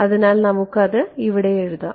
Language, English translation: Malayalam, So, let us write it down over here